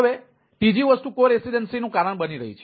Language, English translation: Gujarati, and the third thing is causing co residency